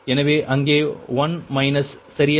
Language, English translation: Tamil, so one minus is there, right